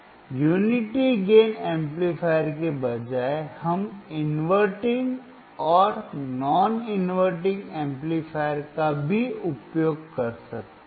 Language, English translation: Hindi, Instead of unity gain amplifier, we can also use inverting and non inverting amplifier